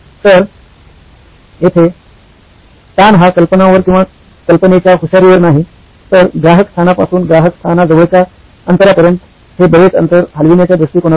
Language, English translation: Marathi, So here the stress is not on the idea or the cleverness of the idea but the approach in moving this far distance from customer location to near distance from customer location